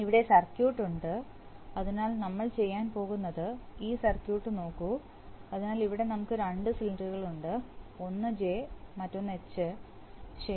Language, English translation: Malayalam, So here we are, so here is the circuit, so what are we going to do, look at this circuit, so we have, we have, here we have two cylinders one is J another is H, right